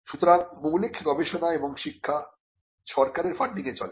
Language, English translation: Bengali, So, the funding fundamental research and education is something that is done by the government